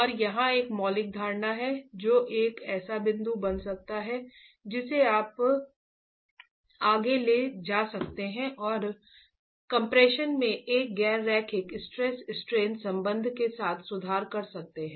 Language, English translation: Hindi, And a fundamental assumption here which can become a point that you take forward and improve with a nonlinear stress strain relationship in compression